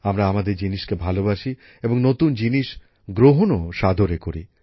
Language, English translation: Bengali, We love our things and also imbibe new things